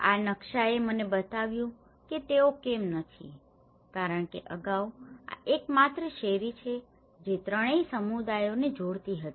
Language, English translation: Gujarati, This map, have shown me why they are not because earlier, this is the only street which was connecting all the three communities